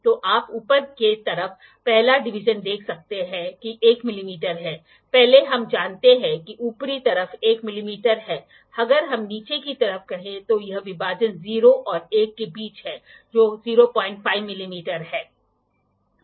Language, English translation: Hindi, So, you can see the first division on the upper side that that is 1 mm, first we know the upper side is 1 mm, if we say the lower side this division is between 0 and 1 that is 0